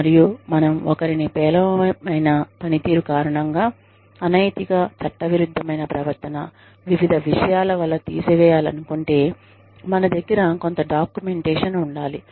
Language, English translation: Telugu, And, if we want to dismiss somebody, because of poor performance, because of unethical, illegal behavior, various things, we have some documentation, that we can, fall back upon